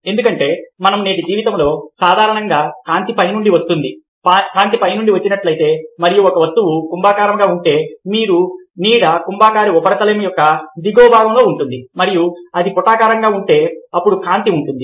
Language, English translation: Telugu, because in our day today, life generally, light comes from the top, and if light comes from the top, and if an object is convex, then the shadow will be on the lower part of the convex surface, and if it is concave, then the light will be, ah, light will be in the lower part and the shadow will be in the upper part